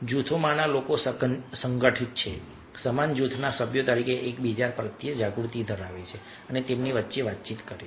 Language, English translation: Gujarati, people in groups are organized, have awareness of one another as members of the same group and carry out communication amongst themselves